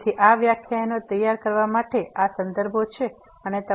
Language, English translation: Gujarati, So, these are the references used for preparing these lectures and